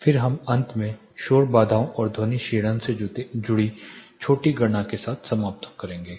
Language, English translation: Hindi, Then we will finally end up with the small calculation associated to noise barriers and sound attenuation